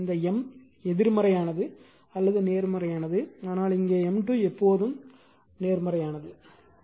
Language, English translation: Tamil, That means this your M is negative or positive does the your it will be here it will change, but here M square is always positive right